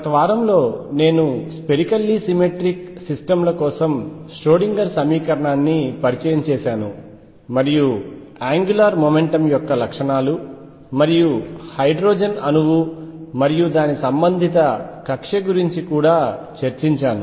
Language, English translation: Telugu, During the last week I had introduced the Schrödinger equation for spherically symmetric systems, and discussed the properties of angular momentum and also the hydrogen atom and corresponding orbital’s